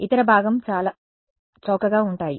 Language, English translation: Telugu, The other part is that the components are very cheap